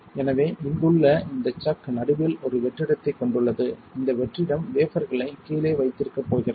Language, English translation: Tamil, So, this chuck here has a vacuum in the middle this vacuum is going to hold the wafer down